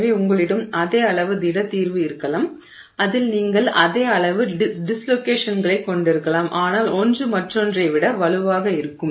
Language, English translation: Tamil, So, you may have the same amount of solid solution in it, you may have the same amount of dislocations in it but one will be stronger than the other